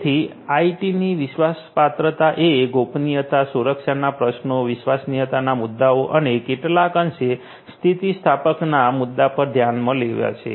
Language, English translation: Gujarati, So, IT trustworthiness will take into consideration issues of privacy, issues of security, issues of reliability and to some extent resilience